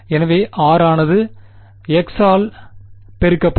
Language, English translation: Tamil, So, r will get substituted as x by